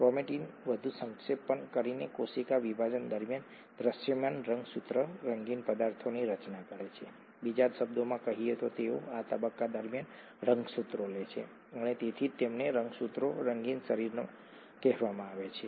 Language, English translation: Gujarati, Chromatin condenses even further to form visible chromosomes, the coloured substances, during cell division, in other words they take up dyes during this stage and that’s why they are called chromosomes, coloured bodies